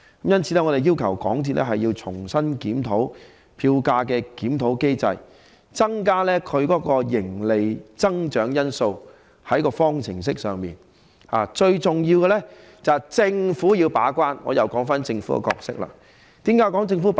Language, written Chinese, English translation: Cantonese, 因此，我們要求港鐵重新檢討票價檢討機制，在方程式內加入營利增長這一項因素，而最重要的是由政府把關——我又談論政府的角色了——為何要提及政府把關？, For this reason we demand that MTRCL review its fare adjustment mechanism and incorporate the factor of profit growth into the formula and most importantly the Government has to keep the gate―I am talking about the role of the Government again . Why is it necessary to talk about the Government keeping the gate?